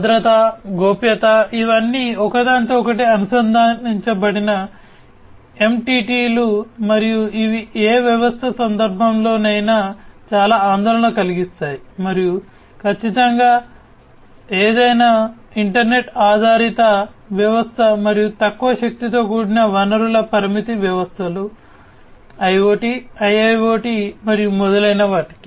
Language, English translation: Telugu, So, security, privacy, trust these are all interlinked entities and these are of utmost concern in the context in the context of any system, and definitely for any internet based system and much more for IoT and low powered resource constraint systems IoT, IIoT, and so on